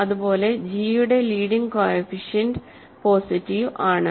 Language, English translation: Malayalam, So, leading coefficient of f is positive